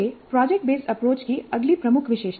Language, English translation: Hindi, This is the next key feature of project based approach